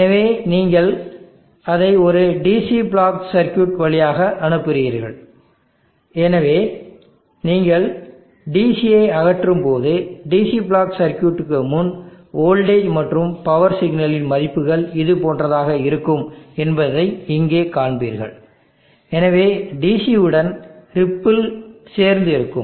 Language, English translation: Tamil, So you pass it through a DC block circuit, so when you remove the DC, so you will see that here before the DC block circuit the values of the voltage and power signal will be something like this, so there will be a DC plus on that there will be a ripple